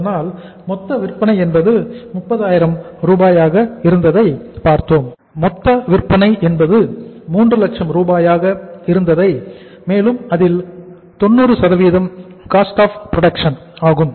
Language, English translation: Tamil, So we have seen that how much was the total sales are of 3 lakh rupees, 300,000 total sales and 90% is the say cost of production